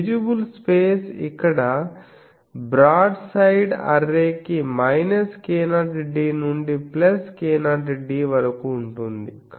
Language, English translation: Telugu, The visible space is here minus k 0 d to plus k 0 d for a broadside array